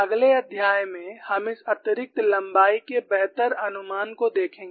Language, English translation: Hindi, In the next chapter, we would see better estimates of this additional length